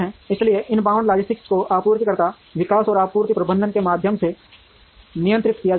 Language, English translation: Hindi, So, inbound logistics is handled through supplier development and supply management